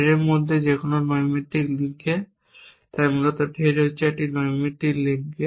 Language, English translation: Bengali, In the threat is that here on the casual link so basically threat is to a casual link